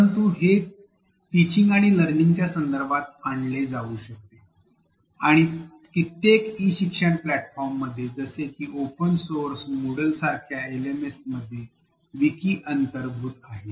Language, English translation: Marathi, But this can be brought into a teaching and learning context, and several e learning platforms right from open source, LMS is like Moodle have wikis as a built into tool